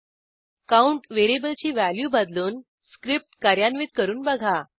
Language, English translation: Marathi, Try changing the value of variable count and execute the script